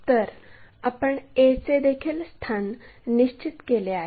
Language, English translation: Marathi, So, we have located this a also